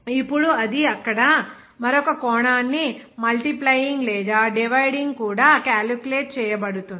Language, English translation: Telugu, Now it also is calculated multiplying or dividing another dimension there